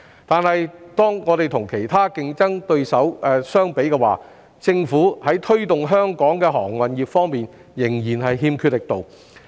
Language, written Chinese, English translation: Cantonese, 但是，如果我們與其他競爭對手相比，政府在推動香港的航運業方面仍然欠缺力度。, However the Governments efforts to promote Hong Kongs maritime industry are still inadequate when compared with other competitors